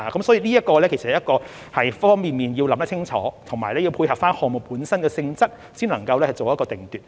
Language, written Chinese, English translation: Cantonese, 所以，在很多方面也要想清楚，以及要配合項目本身的性質，才可以作定奪。, To this end thorough consideration is required in many aspects and it is necessary to have regard to the nature of the project itself before a decision can be made